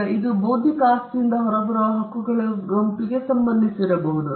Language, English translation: Kannada, Now this could relate to a set of rights that come out of the intellectual property